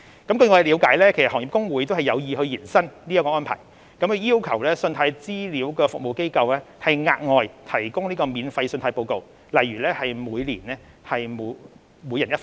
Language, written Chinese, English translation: Cantonese, 據我了解，行業公會有意延伸這項安排，要求信貸資料服務機構額外提供免費的信貸報告，例如每人每年一份。, According to my understanding the Industry Associations intend to extend this arrangement by requesting CRAs to provide more credit reports for free eg . one free report for each member of the public per year